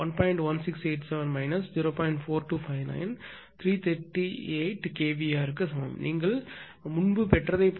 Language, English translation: Tamil, 4259 is equal to 338 kilo watt same as you have got earlier also right